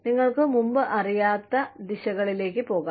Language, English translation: Malayalam, You could go in directions, that you did not know about, before